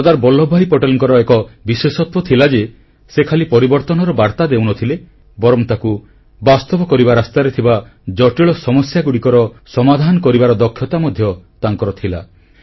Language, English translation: Odia, Sardar Vallabhbhai Patel's speciality was that he not only put forth revolutionary ideas; he was immensely capable of devising practical solutions to the most complicated problems in the way